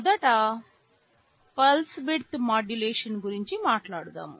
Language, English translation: Telugu, First let us talk about pulse width modulation